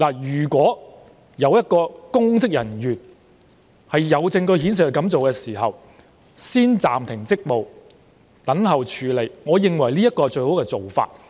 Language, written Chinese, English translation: Cantonese, 如果有證據顯示一名公職人員曾經這樣做，先暫停其職務再等候處理，我認為是最好的做法。, In my opinion if there is proof that a public officer has previously done any of those acts it would be best to suspend his duties pending further actions